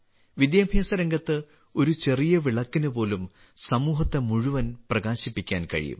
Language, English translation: Malayalam, Even a small lamp lit in the field of education can illuminate the whole society